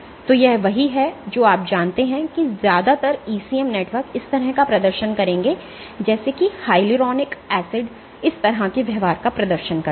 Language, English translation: Hindi, So, this is what you know this is what most ECM networks will exhibit this like hyaluronic acid will exhibit this kind of behavior